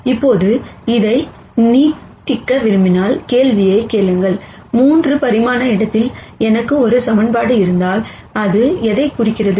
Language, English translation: Tamil, Now, if you want to extend this, and then ask the question, if I have one equation in a 3 dimensional space, what does that represent